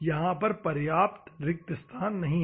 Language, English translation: Hindi, There is no sufficient space